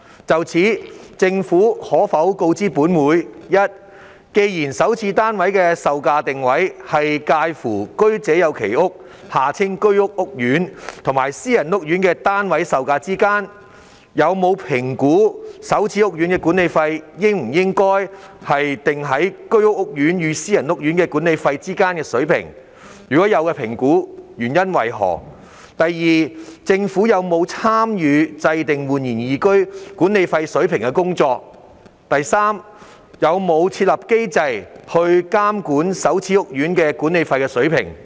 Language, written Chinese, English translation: Cantonese, 就此，政府可否告知本會：一既然首置單位售價的定位，是介乎居者有其屋計劃屋苑和私人屋苑的單位售價之間，有否評估首置屋苑的管理費應否定於居屋屋苑與私人屋苑的管理費之間的水平；若有評估，結果為何；二政府有否參與訂定煥然懿居管理費水平的工作；及三會否設立機制，監管首置屋苑的管理費水平？, In this connection will the Government inform this Council 1 given that the prices of SH flats are positioned at a level between those of Home Ownership Scheme HOS courts and private housing courts whether it has assessed if the management fees of SH housing courts should be pitched at a level between those of HOS courts and private housing courts; if it has conducted such an assessment of the outcome; 2 whether the Government participated in determining the management fee level of the eResidence; and 3 whether it will set up a mechanism to monitor the management fee levels of SH housing courts?